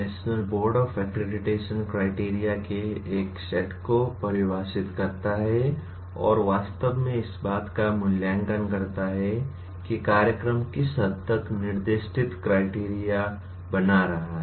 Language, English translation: Hindi, The national board of accreditation defines a set of criteria and actually assesses to what extent the particular program is, to what extent the program is making the specified criteria